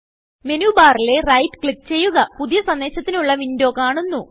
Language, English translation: Malayalam, From the Menu bar, click Write.The New Message window appears